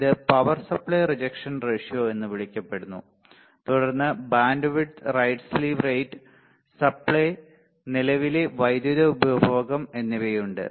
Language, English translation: Malayalam, This is another called power supply rejection ratio then bandwidth right slew rate supply current power consumption